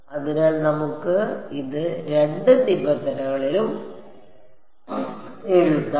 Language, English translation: Malayalam, So, we can write it in either terms